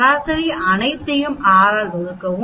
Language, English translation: Tamil, Average is very simple you add all of them divided by 6